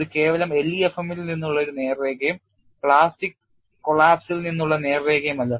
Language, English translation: Malayalam, It is not simply a straight line from LEFM and straight line from plastic collapse